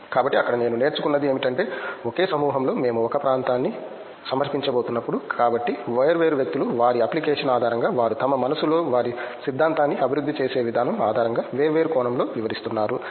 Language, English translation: Telugu, So, there what I learnt is that in the same group of people when we are going to presenting a paper, so different people are explaining in different perspective based on their application the way their theory they develop in their own mind